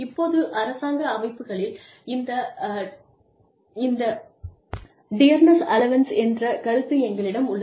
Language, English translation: Tamil, Now, in government organizations, we have this concept of, dearness allowance